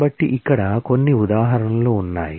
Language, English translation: Telugu, So, here is one example